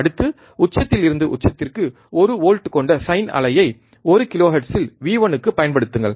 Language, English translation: Tamil, Next apply one volt peak to peak, sine wave at one kilohertz to v 1